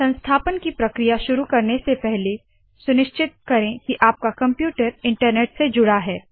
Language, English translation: Hindi, Before starting the installation process please make sure that your computer is connected to the internet